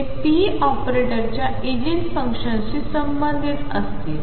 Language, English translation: Marathi, And they will correspond to Eigen functions of p operator